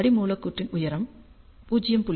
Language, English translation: Tamil, ah The height of the substrate is0